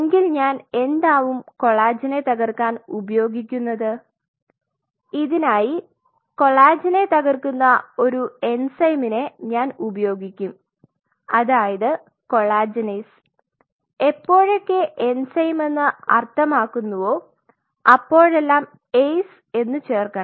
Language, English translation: Malayalam, So, what I will be using to break this collagen, what I will do I will use an enzyme which will break the collagen I will use collagenase a sc whenever means it is an enzyme